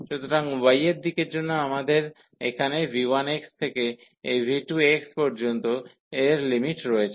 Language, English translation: Bengali, So, for y direction we have the limits here v 1 x v 1 x to this v 2 x